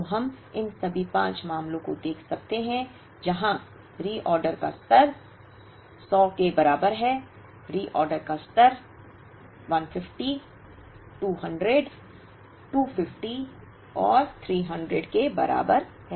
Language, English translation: Hindi, So, we can look at all these 5 cases, where reorder level is equal to 100, reorder level is equal to 150, 200, 250 and 300